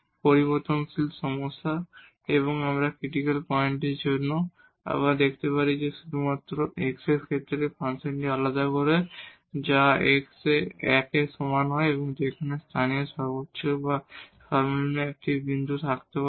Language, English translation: Bengali, So, this is a 1 variable problem and we can look again for the critical point were just by differentiating this function with respect to x so which comes to be at x is equal to 1 there might be a point of local maximum or minimum